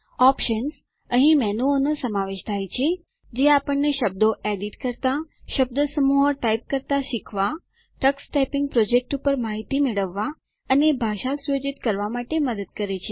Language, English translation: Gujarati, Options – Comprises menus that help us to edit words, learn to type phrases, get information on the tux typing project, and set up the language